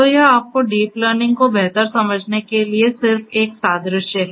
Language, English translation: Hindi, So, this is just an analogy to you know make you understand deep learning better